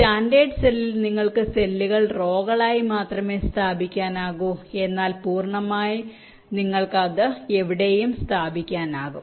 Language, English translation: Malayalam, they are fixed in standard cell you can place the cells only in rows but in full custom you can place them anywhere